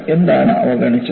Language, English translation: Malayalam, What was ignored